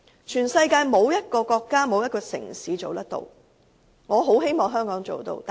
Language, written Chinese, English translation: Cantonese, 全世界沒有一個國家或城市可以做得到。, No country or city in this world is able to do so